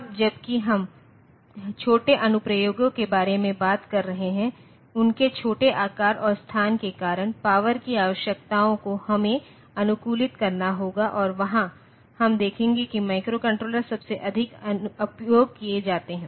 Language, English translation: Hindi, Now, while we are talking about say small applications due to their smaller size and space, power requirements we have to optimize, and there we will see that microcontrollers are most commonly used